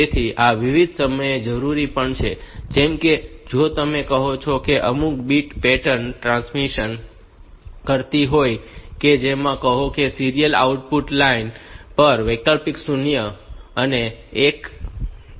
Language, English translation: Gujarati, So, this is also necessary at various times like if you are say transmitting some bit pattern which is say alternate 0es and ones onto the serial output line